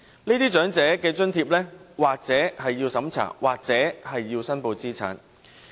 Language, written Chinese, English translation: Cantonese, 這些長者津貼或須經審查，或須申報資產。, Elderly citizens applying for these allowances may need to pass the means tests